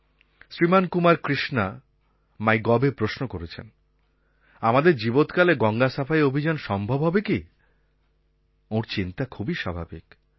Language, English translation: Bengali, Kumar Krishna has asked on MyGov whether "the cleaning of Ganga will be possible while we our alive"